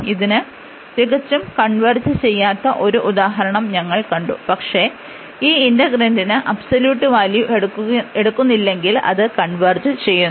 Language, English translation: Malayalam, And we have seen this nice example which does not converge absolutely, but it converges, if we do not take this absolute value for the integrant